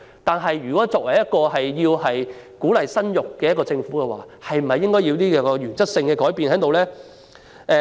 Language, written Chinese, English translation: Cantonese, 但是，作為鼓勵市民生育的政府，應否作出原則性的改變呢？, However as a government which encourages childbearing should some principles be changed?